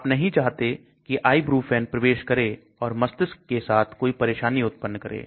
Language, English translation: Hindi, You do not want ibuprofen penetrating and causing some issues with the brain